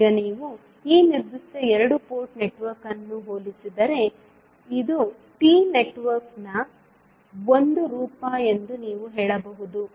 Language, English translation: Kannada, Now, if you compare this particular two port network, you can say it is a form of T network